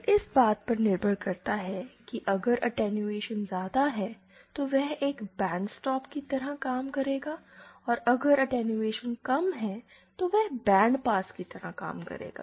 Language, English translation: Hindi, Now depending on if the attenuation is large, it acts as a bandstop and if the attenuation is large, then the resonator will act like bandpass